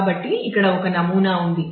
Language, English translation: Telugu, So, here is a sample one